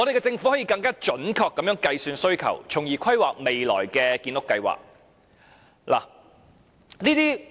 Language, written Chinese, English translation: Cantonese, 政府可以更準確地計算需求，從而規劃未來的建屋計劃。, It can also calculate more precisely the demand and draw up future housing construction plans